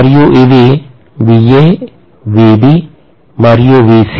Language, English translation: Telugu, And these are of course VA, VB and VC